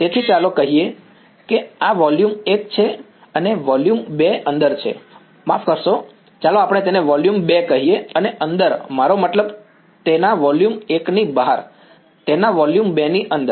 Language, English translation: Gujarati, So, let us say this is volume 1 and volume 2 sorry inside let us call it volume 2 and inside, I mean outside its volume 1, inside its volume 2